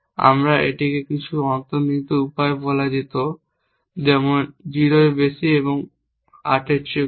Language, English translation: Bengali, We could have said it in some implicit way like greater than 0 and less than 8